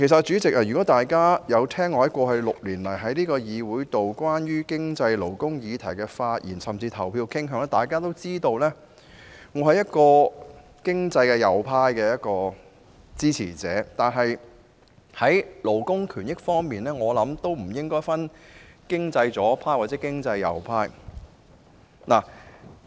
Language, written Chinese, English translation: Cantonese, 主席，如果大家曾聆聽我過去6年來在這議會內就有關經濟、勞工議題的發言，甚至表決意向，便會知道我是經濟右派的支持者，但就勞工權益的議題而言，則不應分經濟左派或右派。, Chairman if Members have listened to my speeches on the economy and labour issues in this Council over the past six years and have even taken note of my voting intentions they should know that I am a supporter of the right - wing economics . However on the issue of labour rights and interests no differentiation should be made between left - wing and right - wing economics